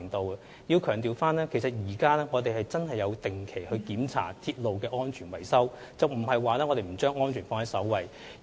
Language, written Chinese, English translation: Cantonese, 我要強調，我們現時確實有定期檢查鐵路的安全維修，我們並非不把安全放在首位。, I have to emphasize that regular inspection of railway safety and maintenance has really been in place . It is untrue that we do not accord top priority to railway safety